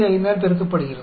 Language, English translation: Tamil, We multiply 3 into 10 power 9